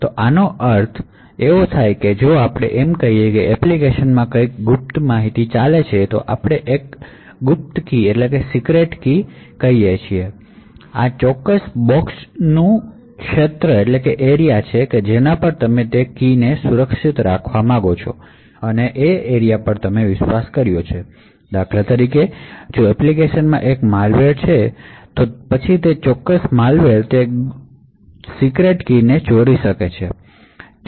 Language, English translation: Gujarati, So what we mean by this is that if let us say the application has something secret let us say a secret key then this particular boxed area are is the region which you actually assumed to be trusted in order to keep that key secure, for instance if there is a malware in the application then that particular malware could steal that secret key